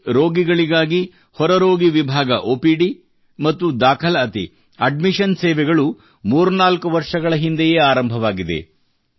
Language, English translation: Kannada, OPD and admission services for the patients started here threefour years ago